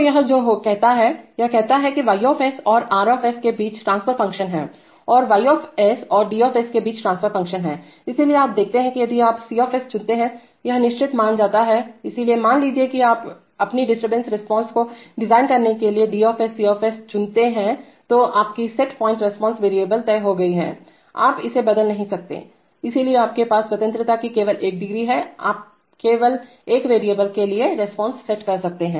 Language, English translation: Hindi, So this is what it says, it says that, this is the transfer function between Y and R and this is the transfer function between Y and D0, so you see that if you if you choose C this gets fixed suppose, so you suppose you choose D C to design your disturbance response then your set point response is fixed, you cannot change it, so you have only one degree of freedom you can only set the response to one variable right